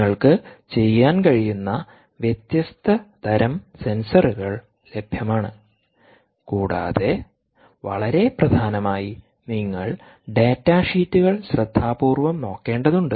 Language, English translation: Malayalam, different type of sensors are available and also, very importantly, you are to look for the data sheets very carefully